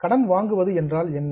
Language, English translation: Tamil, What do you mean by borrowing